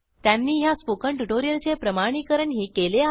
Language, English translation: Marathi, They have also validated the content for this spoken tutorial